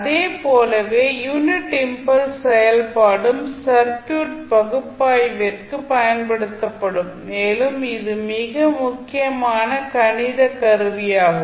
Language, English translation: Tamil, Similar to that also the unit impulse function can also be utilized for our circuit analysis and it is very important mathematical tool